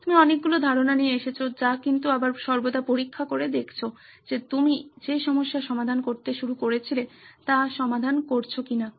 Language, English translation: Bengali, You come up with a lot of ideas which a but again always checking back whether you are solving the problem that you started out to solve